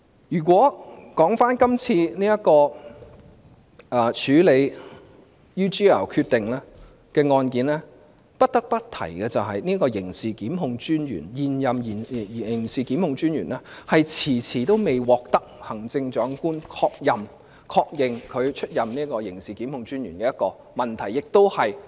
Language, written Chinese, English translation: Cantonese, 說回今次處理 UGL 案件的決定，不得不提的是最近發現的一個問題，現任刑事檢控專員遲遲未獲得行政長官確任，即確認出任刑事檢控專員。, Let us come back to the decision on the handling of the UGL case . I must mention a new problem that has recently sprung up . The Chief Executive has delayed confirming the substantive appointment of the incumbent DPP